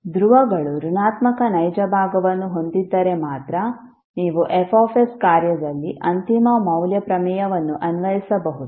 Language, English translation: Kannada, If poles are having negative real part than only you can apply the final value theorem in the function F s